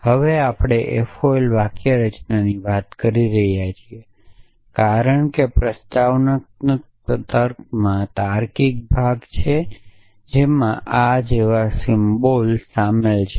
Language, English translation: Gujarati, So we are talking of FOL syntax now as in proposition logic there is the logical part which includes symbols like this